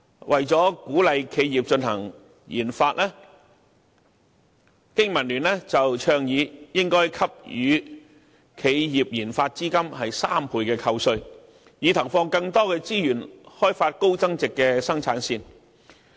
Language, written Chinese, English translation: Cantonese, 為了鼓勵企業進行研發，經民聯倡議應該給予企業研發資金3倍扣稅，以投放更多資源開發高增值生產線。, In order to encourage enterprises to undertake research and development BPA has proposed to provide enterprises with tax deduction at three times of the research and development expenditure so that more resources would be put in to develop production lines of high added value